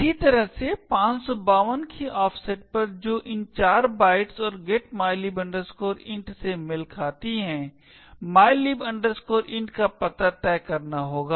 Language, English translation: Hindi, Similarly, at an offset of 552 which corresponds to these 4 bytes and getmylib int, the address of mylib int has to be fixed